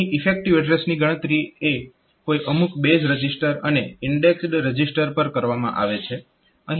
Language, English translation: Gujarati, So, the effective address is computed at some of the base register and indexed register